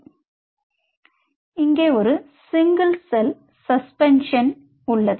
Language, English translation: Tamil, it made a single cell suspension